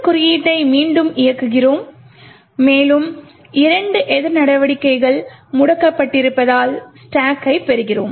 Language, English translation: Tamil, We run this code again and we see that we obtain the stack due to the two countermeasures being disabled